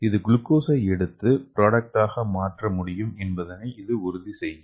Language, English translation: Tamil, So that it can take the glucose and it can convert into the product